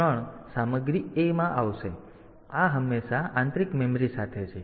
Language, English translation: Gujarati, So, this is always with the internal memory